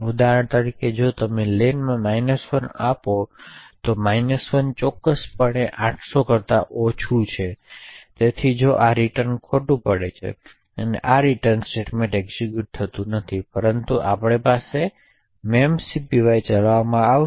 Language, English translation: Gujarati, So for example if we give len to be minus 1, minus 1 is definitely less than 800 and therefore this if returns falls and this return statement is not executed but rather we would have a memcpy getting executed